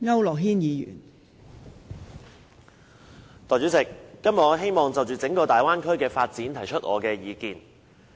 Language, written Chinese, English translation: Cantonese, 代理主席，今天我希望就整個粵港澳大灣區的發展提出意見。, Deputy President I would like to express my views todays on the development of the entire Guangdong - Hong Kong - Macao Bay Area